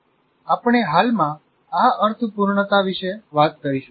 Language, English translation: Gujarati, We'll talk about this meaningfulness presently